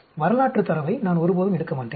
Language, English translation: Tamil, I will never take historical data